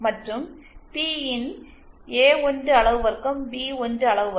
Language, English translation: Tamil, And P in will simply be A1 magnitude square B1 magnitude square